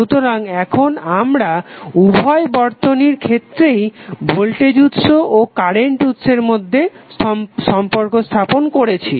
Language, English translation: Bengali, So now, we have stabilized the relationship between voltage source and current source in both of the equivalent circuit